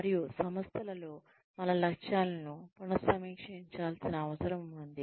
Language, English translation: Telugu, And, within the organizations, there is a need to, maybe, revisit our objectives